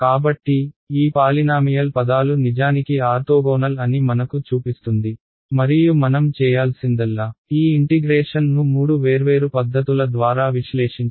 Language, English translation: Telugu, So, this shows us that these our polynomials are indeed orthogonal and what remains for us to do is to evaluate this integral using let us say three different methods